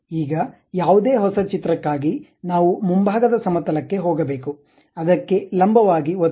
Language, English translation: Kannada, Now, for any new drawing, we have to go to front plane, click normal to that